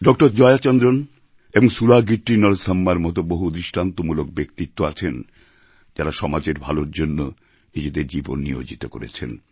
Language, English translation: Bengali, Jaya Chandran and SulagittiNarsamma, who dedicated their lives to the welfare of all in society